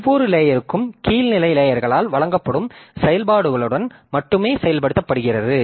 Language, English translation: Tamil, So, each layer is implemented only with operations provided by lower level layers